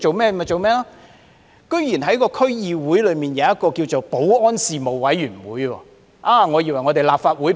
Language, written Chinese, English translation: Cantonese, 北區區議會設立了一個保安事務委員會，我還以為那是立法會保安事務委員會。, The Committee on Security set up under the North DC which is easily confused with the Panel on Security of the Legislative Council was expected to hold four meetings last year